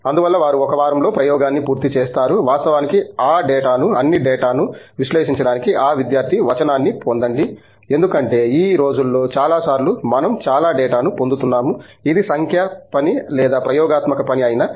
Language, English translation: Telugu, So that means they finish the experiment in about a week, get that student text to actually process all the data because there is just many times these days we are getting a lot of data, whether it is numerical work or experimental work